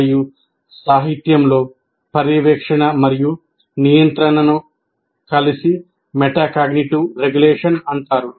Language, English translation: Telugu, And in the literature, monitoring and control are together referred to as regulation, as metacognitive regulation